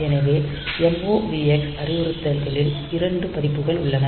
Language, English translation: Tamil, So, those are 2 versions of the MOVX instructions